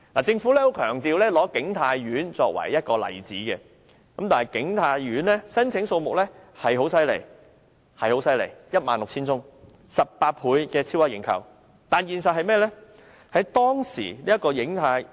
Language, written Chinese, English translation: Cantonese, 政府再三以景泰苑為例子，景泰苑的申請數目的確十分強勁，達 16,000 份，超額認購18倍，但現實是怎樣？, King Tai Court has been repeatedly cited as an example by the Government . With 16 000 applications received and oversubscribed by 18 times the response is strong indeed . What about the reality though?